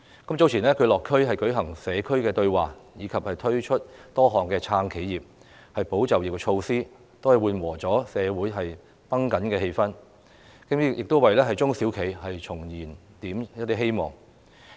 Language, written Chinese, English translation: Cantonese, 特首早前落區舉行社區對話，以及推出多項"撐企業、保就業"措施，緩和了社會繃緊的氣氛，亦為中小企重燃了希望。, The Chief Executive attended a Community Dialogue some time ago and introduced measures to support enterprises and safeguard jobs which eased tensions in society and rekindled hope for small and medium enterprises